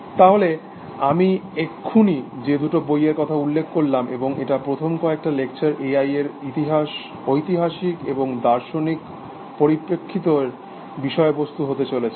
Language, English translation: Bengali, So, these two books that I mentioned, and this is going to be the subject matter of the first few lectures, the historical and the philosophical perspectives to A I